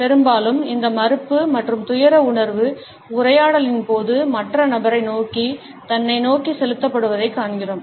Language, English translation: Tamil, Often, we find that this feeling of disapproval and distress is directed towards oneself rather towards the other person during the dialogue